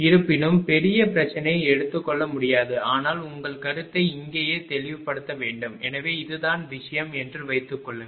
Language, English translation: Tamil, Although, bigger problem cannot be taken but you should make your concept clear at the here itself right so, suppose this is the thing